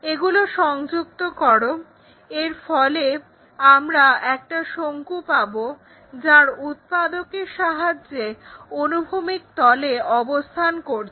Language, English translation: Bengali, Join that, so that we got a cone resting with its generator on the horizontal plane